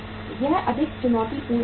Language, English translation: Hindi, That is more challenging a situation